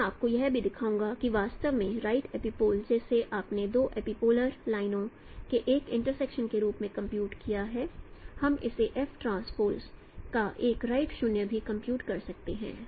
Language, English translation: Hindi, I will show you also that actually the right epipole what you have computed as an intersection of two epipolar lines, we can compute it also a right 0 of f transpose